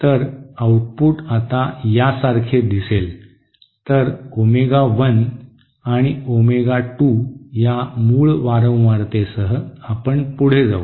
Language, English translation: Marathi, So the output will now look like this, so we will continue having our original frequencies at omega 1 and omega 2